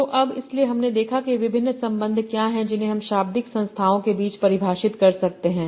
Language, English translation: Hindi, So now, so we saw what are the different relations that you can define among lexical entities